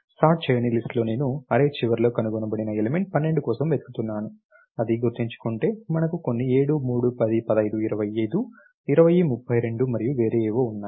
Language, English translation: Telugu, On the unsorted list I was looking for the element 12 which was found at the end of the array if remember it, we had some 7, 3, 10, 15, 25, 20, 32 and something different